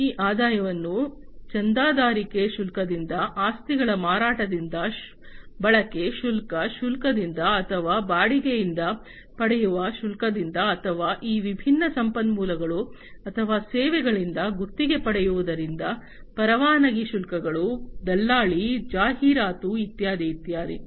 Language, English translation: Kannada, These revenues could be generated from sales of assets from subscription fees, from usage fees or, from fees, that are obtained from the rental or the leasing out of these different resources or the services, the licensing fees, the brokerage, the advertising, etcetera